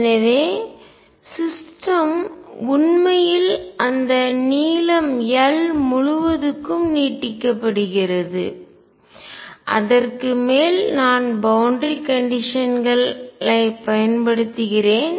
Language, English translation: Tamil, So, system really is extended over that length l over which I am applying the boundary condition